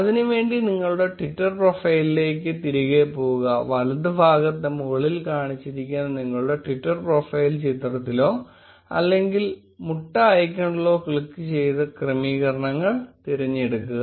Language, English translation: Malayalam, To do that go back to your twitter profile, on the top right click on your twitter profile picture or the egg icon and then select settings